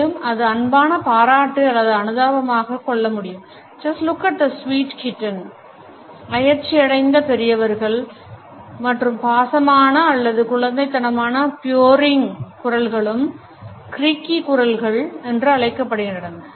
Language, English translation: Tamil, It can also suggest affectionate admiration or sympathy “just look at that sweet kitten” coaxing adults also the affectionate or babyish purring voice are known as creaky voices